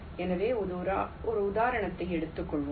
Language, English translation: Tamil, ok, so lets take an example